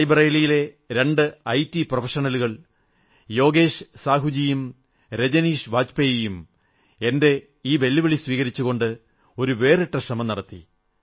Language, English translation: Malayalam, Two IT Professionals from Rae Bareilly Yogesh Sahu ji and Rajneesh Bajpayee ji accepted my challenge and made a unique attempt